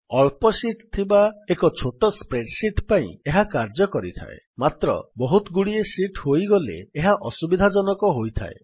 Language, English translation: Odia, This works for a small spreadsheet with only a few sheets but it becomes cumbersome when there are many sheets